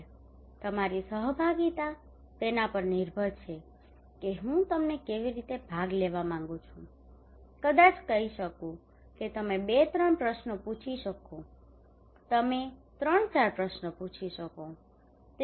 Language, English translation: Gujarati, So your participation depends on that how I want you to participate maybe I can say okay you can ask two three questions you can ask three four questions that is it